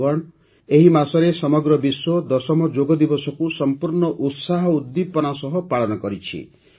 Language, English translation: Odia, Friends, this month the whole world celebrated the 10th Yoga Day with great enthusiasm and zeal